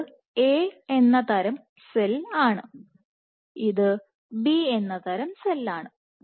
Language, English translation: Malayalam, This is cell type A, this is cell type B